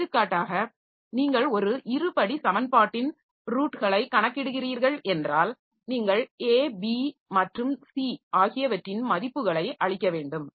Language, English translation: Tamil, For example if you are computing roots of a quadratic equation so you need to feed in the values of A, B and C